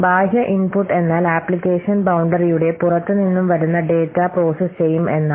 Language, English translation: Malayalam, But in external output, the data is sent outside the application boundary